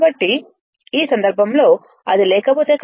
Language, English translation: Telugu, So, in that case if this is not there